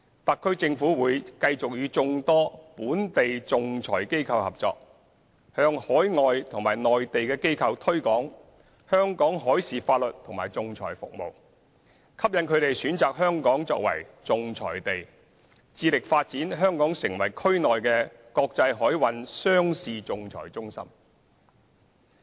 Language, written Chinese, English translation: Cantonese, 特區政府會繼續與眾多本地仲裁機構合作，向海外和內地機構推廣香港海事法律和仲裁服務，吸引它們選擇香港作為仲裁地，致力發展香港成為區內的國際海運商事仲裁中心。, The SAR Government will continue to work with numerous local arbitration organizations to promote Hong Kongs maritime law and arbitration services to overseas and Mainland organizations so as to attract them to choose Hong Kong as the seat of arbitration and develop Hong Kong into an international maritime commerce arbitration centre